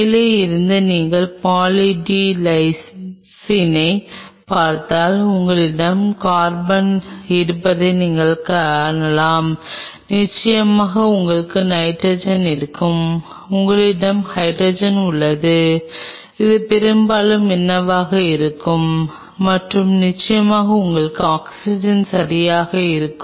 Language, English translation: Tamil, If you look at Poly D Lysine from top you can see you will have carbon you will have nitrogen of course, you have hydrogen these are mostly what will be and of course, you will have oxygen right